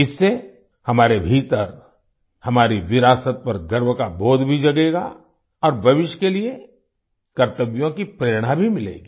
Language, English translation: Hindi, This will instill in us a sense of pride in our heritage, and will also inspire us to perform our duties in the future